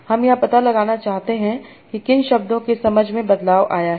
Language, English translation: Hindi, I want to find out what words have undergone science change